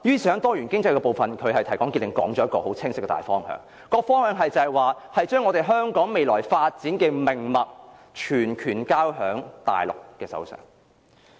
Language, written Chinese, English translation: Cantonese, 在"多元經濟"部分，"林鄭"提綱挈領地提出一個很清晰的大方向，便是把香港未來發展的命脈全權交在大陸手上。, In the part on Diversified Economy Carrie LAM succinctly put forward a very clear general direction and that is the authority over the lifeline of Hong Kongs future development will be handed over to the Mainland